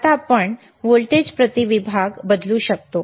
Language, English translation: Marathi, Now we can change the volts per division